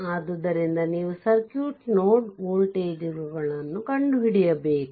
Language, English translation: Kannada, So, you have to find out the node voltages of the circuit